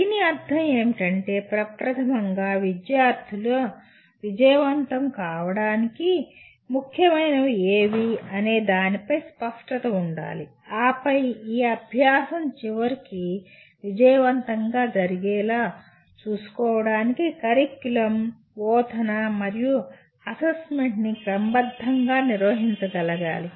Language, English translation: Telugu, What this means is starting with a clear picture of what is important for students to be able to do and then organizing curriculum, instruction, and assessment to make sure this learning ultimately happens